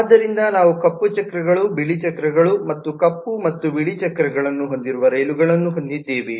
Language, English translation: Kannada, so we will have the trains which have black wheels, white wheels and which have black and white wheels both